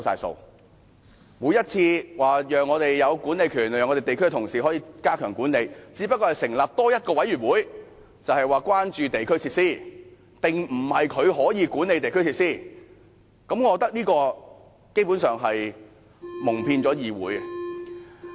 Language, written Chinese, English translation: Cantonese, 政府每次說讓地區同事有管理權，使他們可以加強管理，但只不過是多成立一個委員會，說的是關注地區設施，並非可以管理地區設施，我認為這基本上是蒙騙議會。, The Government has invariably said that DC members would be given powers of management to enhance their role in management but all that has been done is setting up a committee the aim of which is to keep in view district facilities not to manage district facilities . I think this is basically an attempt to fool this Council